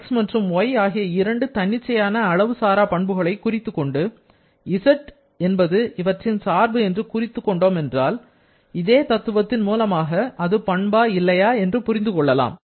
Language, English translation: Tamil, Once, we have specified two independent intensive properties x and y and then we have represented z as a function of this x and y, then using the simple principle we can understand whether there is a property or not